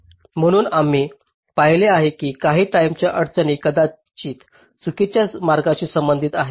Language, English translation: Marathi, so we had seen that some of the timing constraints maybe corresponding to false path